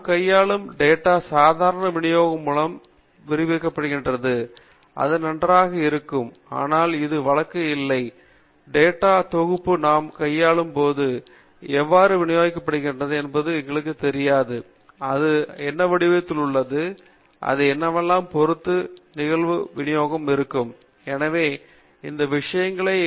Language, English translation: Tamil, So it would be nice if the data we are dealing with is described by the normal distribution, but it need not be the case; when we are dealing with the large data set, we really do not know how the data is distributed, and what kind of shape it has, and what would be the probability distribution it is following; so, these things are not known to us